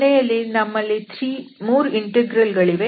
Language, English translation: Kannada, So, we have eventually 3 integrals here